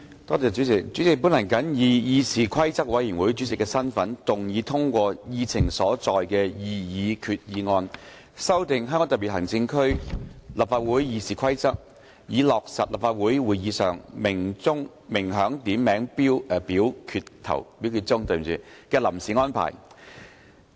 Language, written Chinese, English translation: Cantonese, 代理主席，本人謹以議事規則委員會主席的身份，動議通過議程所載的擬議決議案，修訂《香港特別行政區立法會議事規則》，以落實立法會會議上鳴響點名表決鐘的臨時安排。, Deputy President in my capacity as Chairman of the Committee on Rules of Procedure CRoP I move that the proposed resolution on amending the Rules of Procedure of the Legislative Council of the Hong Kong Special Administrative Region RoP as printed on the Agenda be passed so as to formalize the interim arrangements relating to the ringing of the division bell at Council meetings